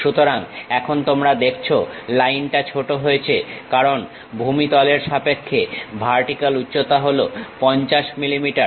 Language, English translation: Bengali, So, now you see the line is shortened because the vertical height with respect to the ground level is 50 millimeters